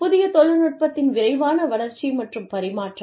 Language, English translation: Tamil, Rapid development, and transfer of new technology